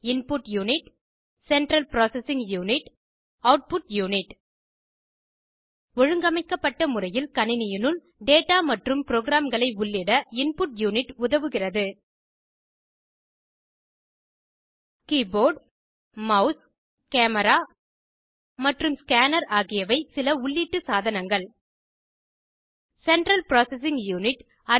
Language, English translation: Tamil, Input unit Central Processing unit Output unit The Input unit helps to enter the data and programs into a computer system in an organised manner Keyboard, mouse, camera and scanner are some of the input devices